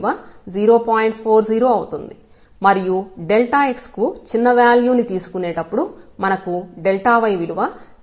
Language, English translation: Telugu, 40 and while taking a smaller delta x we will get delta y as 0